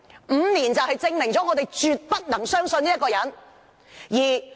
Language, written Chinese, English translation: Cantonese, 五年時間證明了，大家絕不能相信這個人。, Five years on it is proven that we absolutely cannot trust this man